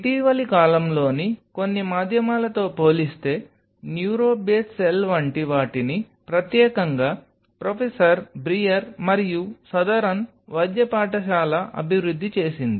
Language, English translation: Telugu, As compared to some of the mediums in recent times what have been developed like neuro base cell exclusively developed by professor brier and southern medical school